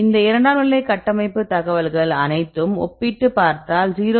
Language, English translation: Tamil, So, we if you compare all these secondary structure information we can get up to 0